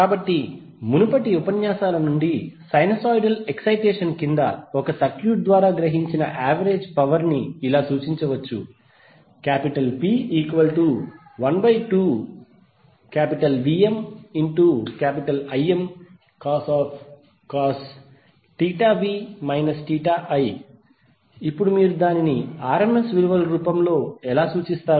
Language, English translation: Telugu, So now from the previous lectures we can recollect that the average power absorbed by a circuit under sinusoidal excitation can be represented as P is equal to 1 by 2 VmIm cos theta v minus theta i